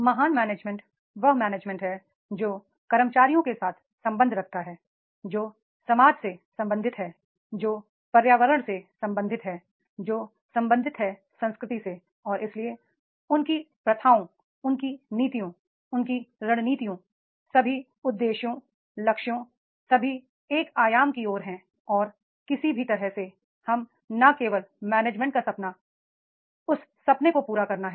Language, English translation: Hindi, Great management is that management who is concerned with the employees, who is concerned with the society, who is concerned with the environment, who is concerned with the culture and therefore their practices their policies their strategies all objectives goals all all are towards the one dimensions and that is the anyhow we have to fulfill that dream and dream of not only of the management here the management means each and every stakeholder of that organization